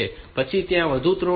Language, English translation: Gujarati, Then this are there are three more pins RST 5